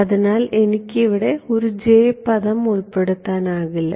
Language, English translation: Malayalam, So, I cannot include a J term over here